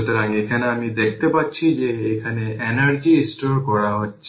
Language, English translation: Bengali, So, here if you see that it is energy being stored right